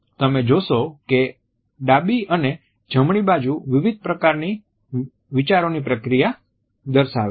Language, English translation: Gujarati, You would find that the left and right directions are indicative of different types of thinking procedures